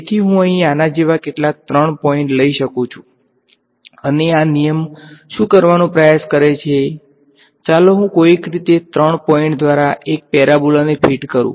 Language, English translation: Gujarati, So, I can take some three points like this over here, and what this rule will try to do is ok, let me somehow fit a parabola through these three points